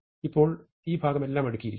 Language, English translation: Malayalam, So, now, this part is all sorted